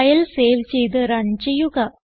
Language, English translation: Malayalam, So save and run the file